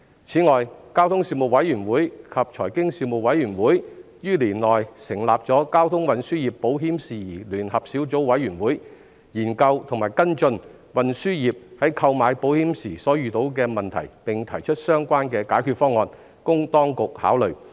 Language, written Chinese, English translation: Cantonese, 此外，交通事務委員會及財經事務委員會在本年度成立了交通運輸業保險事宜聯合小組委員會，研究及跟進運輸業在購買保險時所遇到的問題，並提出相關的解決方案，供當局考慮。, In addition during this session the Panel on Transport and the Panel on Financial Affairs formed the Joint Subcommittee on Issues Relating to Insurance Coverage for the Transport Sector to study and follow up on the difficulties encountered by the transport sector in procuring insurance and recommend solutions for the Administrations consideration